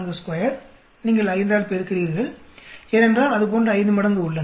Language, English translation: Tamil, 5 you are multiplying because there are 5 times like that